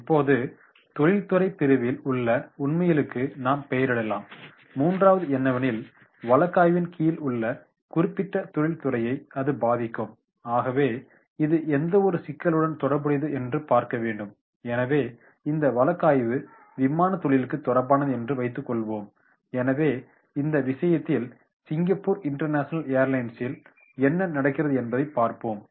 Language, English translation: Tamil, Now we label the facts in the industry category, now the third is this pertains to any issue that affect the specific industry under study so suppose the case is related like this is aviation industry so then in that case we will go through that is the what is happening in to the Singapore International Airlines